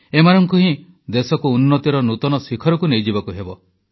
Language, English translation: Odia, These are the very people who have to elevate the country to greater heights